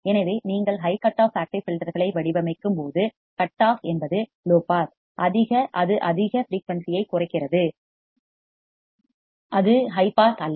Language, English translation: Tamil, So, what I have seen that when you are designing high cutoff active filters, the cutoff is low pass, it is cutting high frequency it is not high pass